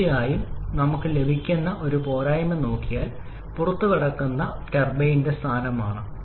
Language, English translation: Malayalam, Of course, one shortcoming that we are also getting if we look at the turbine in exit position